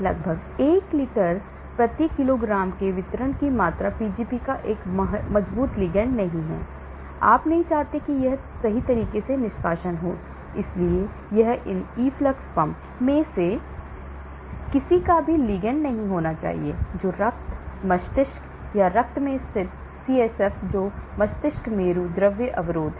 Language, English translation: Hindi, Volume of distribution of around 1 litre per kg not a strong ligand of Pgp, you do not want it to get a effluxed out right, so it should not be a ligand of any of these efflux pump which are located at the blood brain or blood CSF that is cerebrospinal fluid barrier